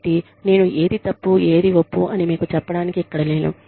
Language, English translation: Telugu, I am not here to tell you, what is right to what is wrong